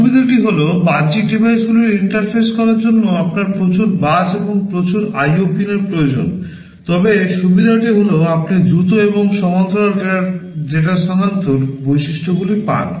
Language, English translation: Bengali, The drawback is that you need so many buses, lot of IO pins to interface the external devices, but the advantage is that you get on the average faster and parallel data transfer features